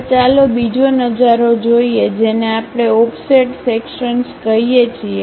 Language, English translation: Gujarati, Now, let us look at another view which we call offset sections